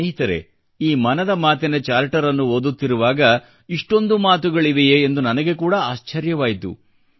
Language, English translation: Kannada, Friends, when I was glancing through this 'Mann Ki Baat Charter', I was taken aback at the magnitude of its contents… a multitude of hash tags